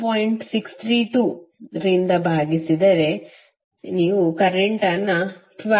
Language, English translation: Kannada, 632, you will get current as 12